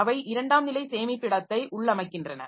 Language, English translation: Tamil, So, these are called secondary storage